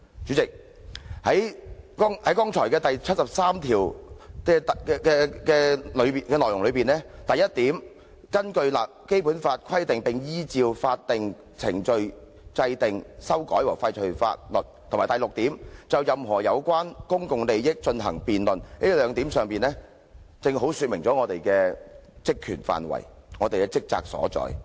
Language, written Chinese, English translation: Cantonese, "主席，在我剛才引述《基本法》第七十三條的內容中，"一根據本法規定並依照法定程序制定、修改和廢除法律"及"六就任何有關公共利益問題進行辯論"這兩項規定，正好說明了議員的職權範圍和職責所在。, President the two provisions under Article 73 of the Basic Law that I have just quoted 1 To enact amend or repeal laws in accordance with the provisions of this Law and legal procedures; and 6 To debate any issue concerning public interests precisely state the terms of reference and responsibilities of the Members